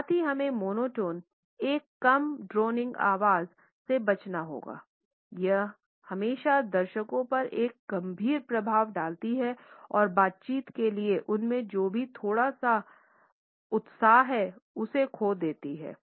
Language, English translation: Hindi, At the same time we should avoid monotone a low droning voice always has a soporific impact on the audience and makes them lose whatever little enthusiasm they may have for the interaction